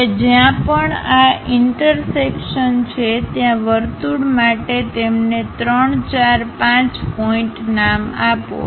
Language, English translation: Gujarati, Now, wherever these intersections are there with the circle name them as 3, 4, 5 points for the circle